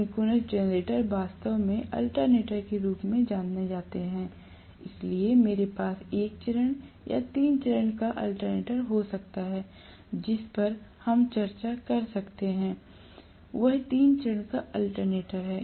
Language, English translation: Hindi, Synchronous generators are in actually known as alternators, so I can have a single phase or three phase alternator, what we are discussing is three phase alternator, right